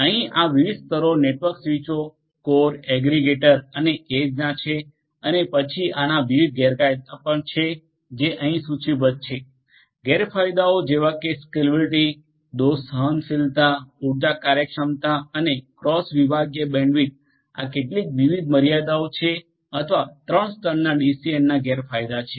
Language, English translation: Gujarati, There are these different layers of network switches core aggregate and edge and then there are different disadvantages that are also listed over here, disadvantages of scalability, fault tolerance, energy efficiency, and cross sectional bandwidth, these are some of these different limitations or the disadvantages of the 3 tier DCN